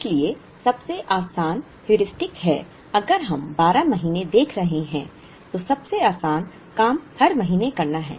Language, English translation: Hindi, So, the easiest Heuristic is if we are looking at 12 months, the simplest thing to do is make an order every month